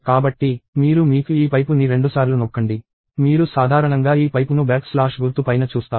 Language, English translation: Telugu, So, you press… you have this pipe twice; you usually see this pipe on top of the back slash symbol